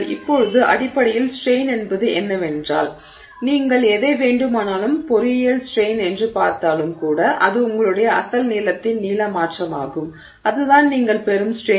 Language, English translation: Tamil, Now, the strain is essentially whatever, I mean even if you are looking at it as the engineering strain, then you are, it is the, you know, the change in length by the original length that you have there and that is the strain that you are getting